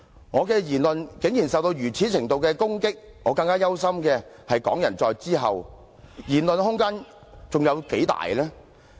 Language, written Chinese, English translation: Cantonese, 我的言論竟然受到如此程度的攻擊，我更憂心的是港人在以後的言論空間還能有多大？, My comments have been subjected to an undue level of attack but I am even more concerned about how much room for speech Hong Kong people will have in the future